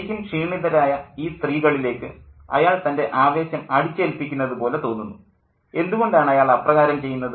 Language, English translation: Malayalam, And he seems to kind of push his enthusiasm on to these really tired set of women, and why does he do that